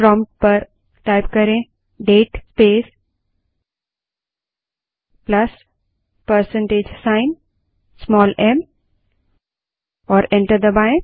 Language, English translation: Hindi, Type at the prompt date space plus% small h and press enter